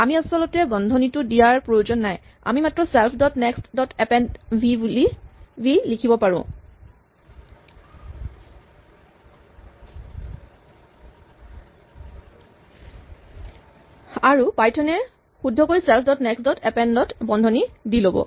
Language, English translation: Assamese, We need not actually put the bracket, we can just write self dot next dot append v and python will correctly bracket this as self dot next dot append